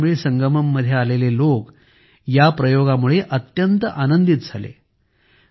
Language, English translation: Marathi, People who came to the KashiTamil Sangamam seemed very excited about this experiment